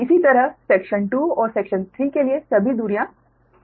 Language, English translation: Hindi, similarly, for section two and section three, all the distances are marked